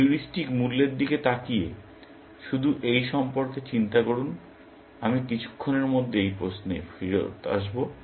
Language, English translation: Bengali, Looking at the heuristic values; just think about this, I will come back to this question in a moment